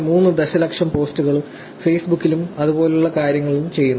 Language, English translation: Malayalam, 3 million posts are done on Facebook and things like that